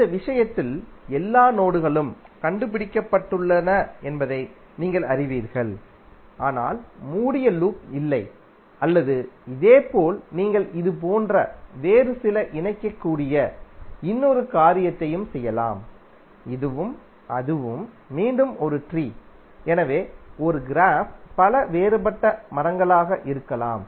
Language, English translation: Tamil, In this case also you know that all the nodes have been traced but there is no closed loop or similarly you can do one more thing that you can connect through some other fashion like this, this and that, that again a tree, So there may be many possible different trees of a graph